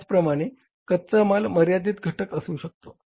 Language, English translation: Marathi, Similarly, raw material could be a limiting factor